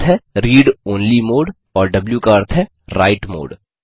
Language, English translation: Hindi, r stand for read only mode and w stands for write mode